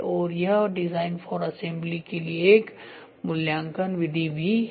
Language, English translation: Hindi, And this is also an evaluation method for design for assembly